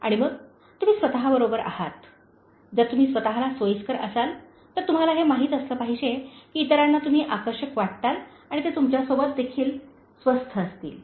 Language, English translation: Marathi, And then, you are with yourself, if you are comfortable with yourself, you should know that others will find you attractive and they will be comfortable with you also